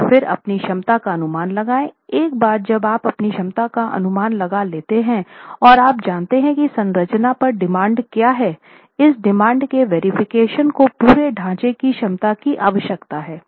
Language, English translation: Hindi, Once you've got your capacity estimates and you know what is the demand coming onto the structure, you need to do this verification of demand to capacity of the whole structure